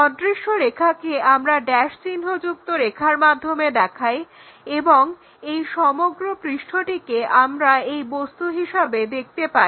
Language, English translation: Bengali, So, invisible line is dashed line and this entire surface we will see it as this object